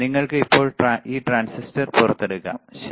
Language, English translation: Malayalam, So, you can now take it out this transistor, all right